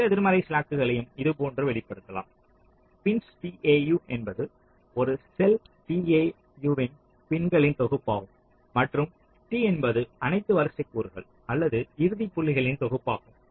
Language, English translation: Tamil, total negative hm slack can be expressed like this: p i n s tau is a set of pins of a cell tau and t is the set of all sequential elements or endpoints